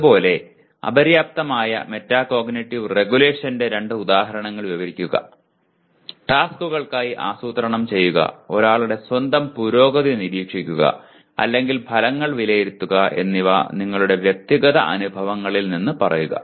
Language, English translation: Malayalam, Similarly, describe two instances of inadequate metacognitive regulation; planning for tasks, monitoring one’s own progress or evaluating the outcomes from your personal experiences